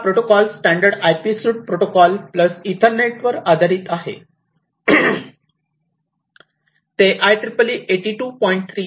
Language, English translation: Marathi, So, this Ethernet/IP is based on the standard IP suite of protocols plus the Ethernet, which is IEEE 82